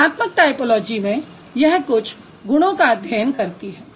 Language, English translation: Hindi, So qualitative typology deals with certain traits